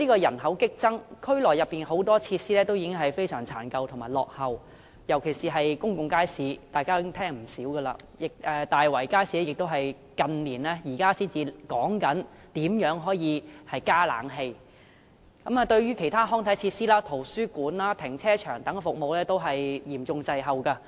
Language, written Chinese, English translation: Cantonese, 人口激增，但區內很多設施已經非常殘舊和落後，尤其是公眾街市，大家也聽聞不少，大圍街市也只是近年才討論如何加裝空調系統，而其他康體設施、圖書館及停車場等服務均嚴重滯後。, The population has been increasing drastically but many facilities in the district particularly public markets are dilapidated and outdated . We have heard a lot of such comments . It was not until the recent years that there were discussions about the installation of an air - conditioning system in Tai Wai Market